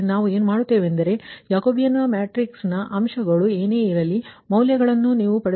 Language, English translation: Kannada, so what, ah, we, we will do it that whatever jacobean matrix, here jacobean elements, you have got this ah values right